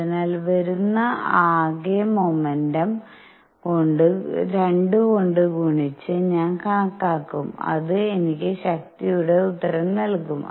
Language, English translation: Malayalam, So, I will calculate the total momentum coming in multiplied by 2 and that would give me the answer for the force